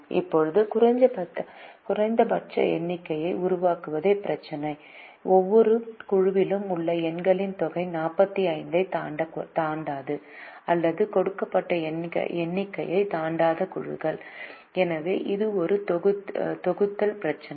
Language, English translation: Tamil, now the problem is to make minimum number of groups such that the sum of the numbers in each group does not exceed forty five or does not exceed a given number